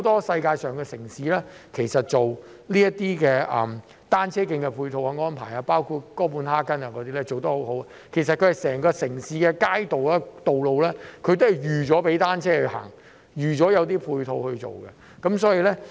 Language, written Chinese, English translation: Cantonese, 世界上很多城市也有單車徑的配套安排，哥本哈根便做得很好，整個城市的街道和道路也預先設計供單車行走，所有的配套都預計在內。, Many cities in the world also have ancillary facilities for cycling and Copenhagen is a case in point . The streets and roads all over the city are pre - designed for use by bicycles with plans being made to accommodate all such ancillary facilities beforehand